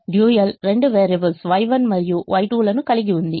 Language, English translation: Telugu, the dual will have two variables, y one and y two